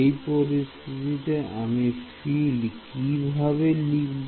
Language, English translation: Bengali, So, with this in mind how do I write the field